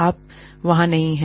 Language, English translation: Hindi, You are not there